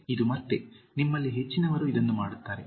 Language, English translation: Kannada, 12) This again, most of you do this